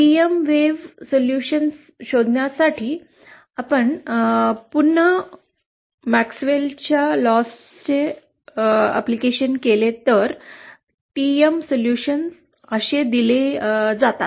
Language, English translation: Marathi, The TM solutions are given as so if we again apply the MaxwellÕs laws to find the TM wave solution they are given like this